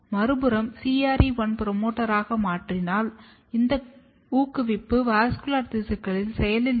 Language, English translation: Tamil, On the other hand, if you change the promoter, which is CRE1 promoter, this promoter is active in the vascular tissue